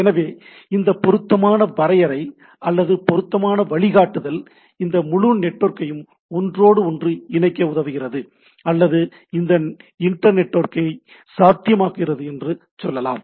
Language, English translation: Tamil, So, this makes or this appropriate definition or appropriate guideline helps us to inter correct this whole networking or what we say that making this inter networking possible right